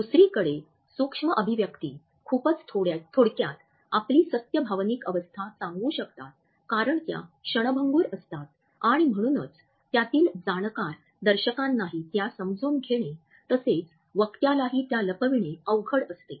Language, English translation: Marathi, On the other hand the micro expressions very briefly can suggest the truth of our emotional state because they occur in a fleeting fashion and therefore, their understanding as well as their concealment by the onlooker as well as by the speaker is rather tough